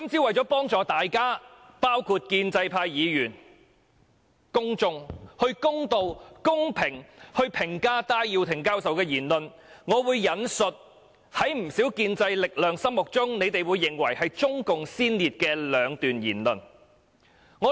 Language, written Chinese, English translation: Cantonese, 為了幫助大家公道和公平地評價戴耀廷教授的言論，我會引述在不少建制力量的心目中認為是中共先列的兩段言論。, To help us including Members of the pro - establishment camp and the public to judge Prof Benny TAIs remarks in a fair and just manner I will quote the remarks of two persons who are regarded as pioneers of CPC in the minds of many Members of the pro - establishment camp